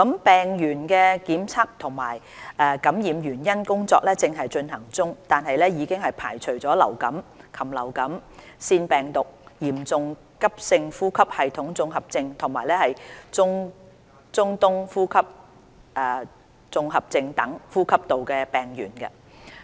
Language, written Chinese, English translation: Cantonese, 病原的檢測和感染原因的調查工作正在進行，但已排除流感、禽流感、腺病毒、嚴重急性呼吸系統綜合症及中東呼吸綜合症等呼吸道病原。, While the causative pathogen and cause of infection are still under investigation respiratory pathogens such as influenza viruses avian influenza viruses adenovirus Severe Acute Respiratory Syndrome and Middle East Respiratory Syndrome have been ruled out as the cause